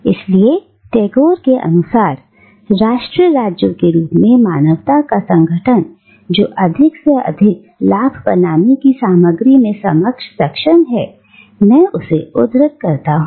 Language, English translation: Hindi, So, according to Tagore, the organisation of humanity in the forms of nation states which is geared at making more and more material profit and, I quote him